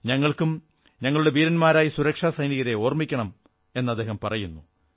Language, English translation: Malayalam, We also remember our brave security forces